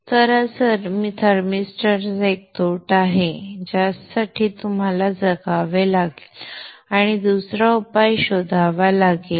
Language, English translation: Marathi, So this is one disadvantage of the thermister which you may have to live with or look for another solution